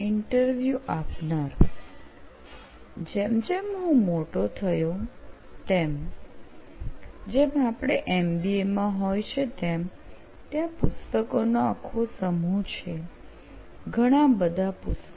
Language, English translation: Gujarati, As I grew up, like in this, like as we do an MBA, there is set of books, there are lots of books